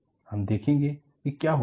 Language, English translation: Hindi, We will see what happens